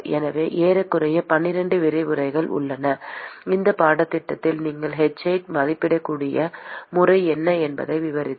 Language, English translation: Tamil, So, there are about almost like 12 lectures we are going to have in this course which describes what is the method by which you can estimate h